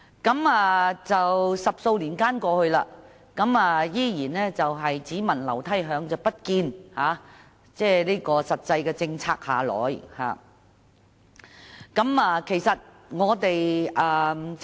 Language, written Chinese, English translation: Cantonese, 可是 ，10 多年過去，我們依然是"只聞樓梯響，不見有實際的政策下來"。, More than 10 years have passed yet it has been all smoke but no fire for specific policies are still nowhere to be seen